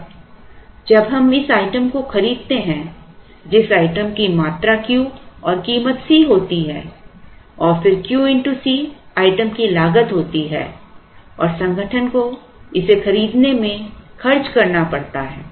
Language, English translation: Hindi, Now, when we buy this item say Q quantity of Q of a particular item which costs C then Q into C is the cost of the item and the organization has to spend this money in buying it